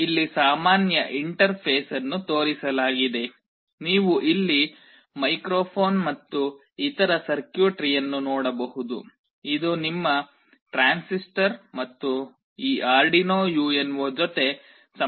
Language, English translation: Kannada, Here the typical interface is shown where you can see the microphone sitting here and the other circuitry you can see here, this is your transistor and you have made the connection with this Arduino UNO